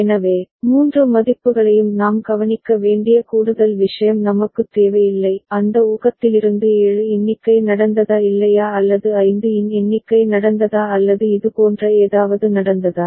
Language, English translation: Tamil, So, that we do not need an additional thing where we need to look at all three values; and from that infer whether a count of 7 has taken place or not or count of 5 has taken place or some such thing